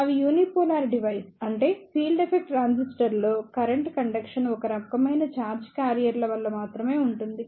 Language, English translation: Telugu, They are the unipolar device; that means the current conduction in the field effect transistor is due to only one type of charge carriers